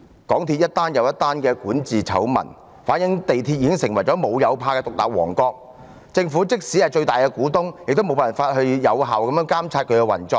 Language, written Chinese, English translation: Cantonese, 港鐵公司接連爆發管治醜聞，反映出港鐵公司已成為"無有怕"的獨立王國，政府即使身為港鐵公司最大的股東，也無法有效監察他們的運作。, MTRCLs governance scandals were exposed one after the other reflecting that MTRCL has already become a fearless independent kingdom . Even the Government its biggest shareholder is unable to monitor the companys operation effectively